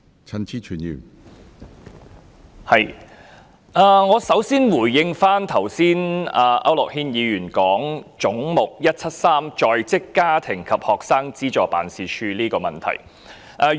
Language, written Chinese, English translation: Cantonese, 首先，我想回應區諾軒議員剛才提及的"總目 173― 在職家庭及學生資助事務處"的問題。, For starters I would like to respond to the issue mentioned by Mr AU Nok - hin just now on Head 173―Working Family and Student Financial Assistance Agency